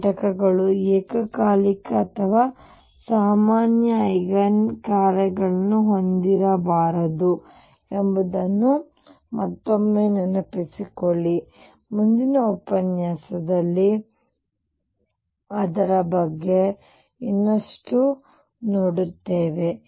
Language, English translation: Kannada, Again recall that these components cannot have simultaneous or common eigen functions; more on that in the next lecture